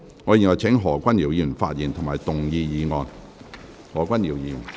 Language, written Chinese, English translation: Cantonese, 我請何君堯議員發言及動議議案。, I call upon Dr Junius HO to speak and move the motion